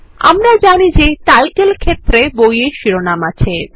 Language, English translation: Bengali, And we know that the title field stores the book titles